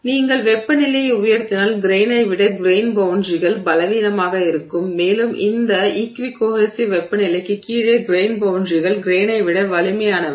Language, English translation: Tamil, So, if you raise the temperature, there is a temperature above which the grain boundaries are weaker than the grain, and below this equi cohensive temperature, the grain boundaries are stronger than the grain